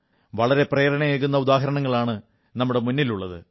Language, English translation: Malayalam, These are inspirational examples in themselves